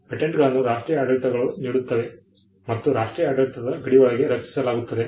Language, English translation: Kannada, Patents are granted by the national regimes and protected within the boundaries of the national regime